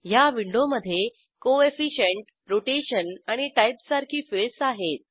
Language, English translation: Marathi, This window contains fields like Coefficient, Rotation and Type